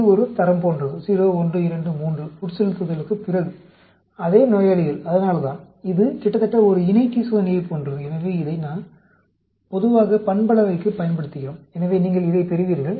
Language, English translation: Tamil, This is sort of a qualitative 0, 1, 2, 3; after infusion, same patients, that is why, it is almost like a paired t test which we used to do for parametric; so, you get like this